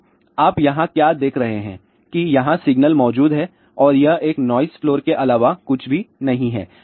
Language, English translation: Hindi, So, what you see over here that here is a signal is present over here and this is nothing, but a noise floor